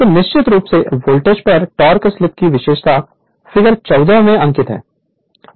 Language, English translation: Hindi, So, the torque slip characteristic at fixed voltage is plotted in figure 14